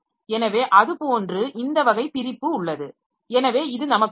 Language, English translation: Tamil, So like that we have this type of separation so this will help us